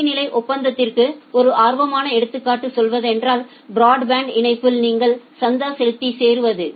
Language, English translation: Tamil, Say one interesting example of service level agreement is whenever you are subscribing for say broadband connection